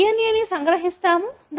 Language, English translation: Telugu, We extract the DNA